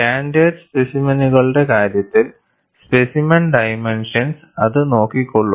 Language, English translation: Malayalam, In the case of standard specimens, the specimen dimension takes care of it